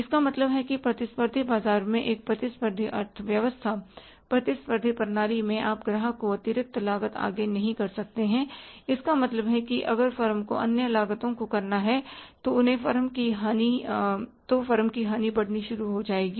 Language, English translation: Hindi, So that is one thing it means in a competitive economy in the competitive market in the competitive system you cannot pass on the pass on the extra cost to the customer it means if the firm has to bear the cost the firm's losses will start mounting